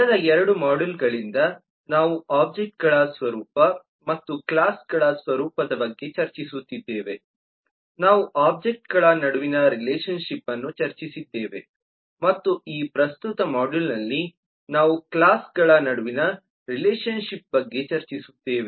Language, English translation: Kannada, for the last couple of modules we have been discussing about the nature of objects and the nature of classes, we have discussed the relationship amongst objects and in this current module we will discuss about the relationship among classes